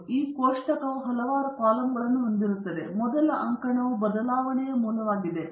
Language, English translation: Kannada, So, this table has several columns and the first column is the source of variation